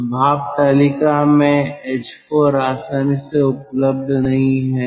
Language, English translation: Hindi, so h four is not easily available in steam table